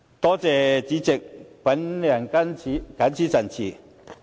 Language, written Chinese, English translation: Cantonese, 多謝代理主席，我謹此陳辭。, Thank you Deputy President I so submit